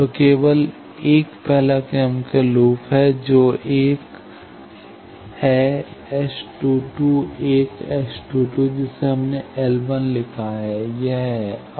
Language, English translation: Hindi, So, there is only one first order loop that is 1 S 22, 1 S 22 that we have written L 1 is this